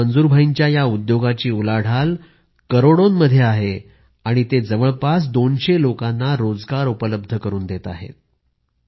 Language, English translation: Marathi, Today, Manzoor bhai's turnover from this business is in crores and is a source of livelihood for around two hundred people